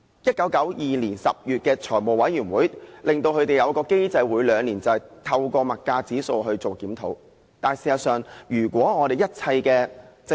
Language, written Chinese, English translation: Cantonese, 1992年10月，財務委員會決定了他們每兩年可按消費物價指數檢討收費的機制。, In October 1992 the Finance Committee decided that they might set up a mechanism for biennial fee review based on CPI